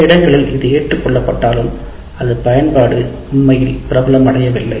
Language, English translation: Tamil, While it is adopted in some places, its use hasn't really become that popular